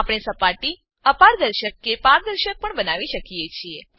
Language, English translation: Gujarati, We can also make the surfaces opaque or translucent